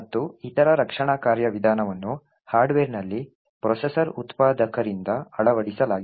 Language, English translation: Kannada, And other defense mechanism is implemented in the hardware by the processor manufactures